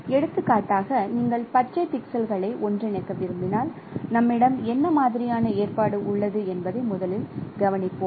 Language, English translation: Tamil, For example, if you want to interpolate the green pixels, let us observe that what kind of arrangement we have